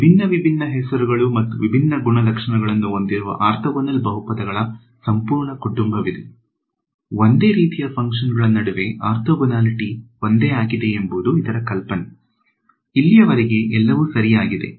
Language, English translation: Kannada, There is a entire family of orthogonal polynomials with different different names and different properties, but the idea is the same orthogonality between functions ok; so far so good